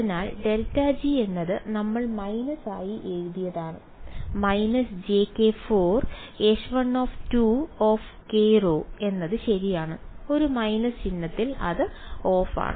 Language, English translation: Malayalam, So, grad g is we had written it as minus j k by 4 H 1 2 k rho r prime is that correct ot I am off by a minus sign